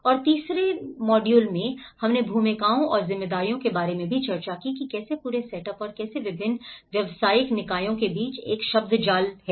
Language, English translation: Hindi, And in the third module, we also discussed about the roles and the responsibilities like the whole setup and how there is a jargon between different professional bodies